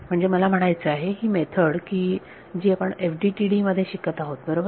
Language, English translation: Marathi, So, I mean this method that we are studying is FDTD right